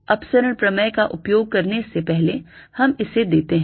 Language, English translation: Hindi, let us give that before using divergence theorem